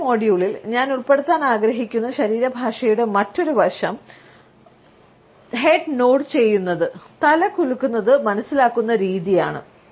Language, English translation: Malayalam, Another aspect of body language which I want to cover in today’s module, is the way head nods and shaking of the head is understood